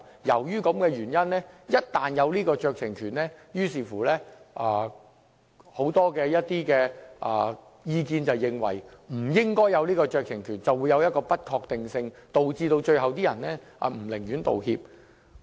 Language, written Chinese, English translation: Cantonese, 由於這個原因，就給予酌情權而言，有很多意見認為不應給予酌情權，因為它會造成不確定性，最終導致那些涉事的人寧願不作出道歉。, Due to that reason many considered that no discretionary power should be given otherwise uncertainties may arise and people involved will be discouraged from making any apologies at all